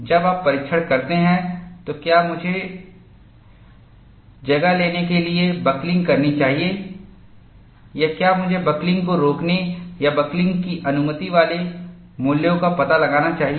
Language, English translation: Hindi, When you do a testing, should I have buckling to take place or should I find out the values preventing buckling or having the buckling allowed